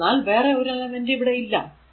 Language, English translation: Malayalam, So, there is no other element here